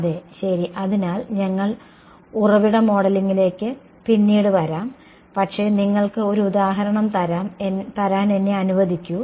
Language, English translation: Malayalam, Yeah ok; so, we will come to source modeling later, but let me just give you an example